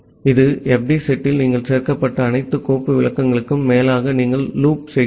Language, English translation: Tamil, Then in this fd set you loop over all the file descriptor that you have been added